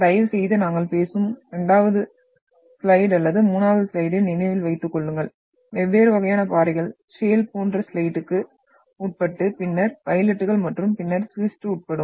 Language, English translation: Tamil, Please remember this and you can refer the 2nd slide or the 3rd slide where we are talking about the different type of rocks when they are subjected to like shale to slate and then phylites and then schist and all that